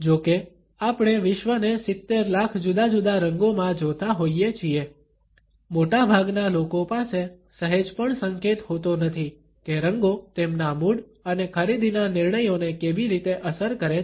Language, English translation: Gujarati, Although we see the world in 7 million different colors, most people do not have the slightest clue how colors affect their mood and purchasing decisions